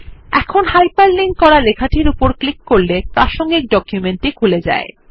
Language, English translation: Bengali, Now clicking on the hyperlinked text takes you to the relevant document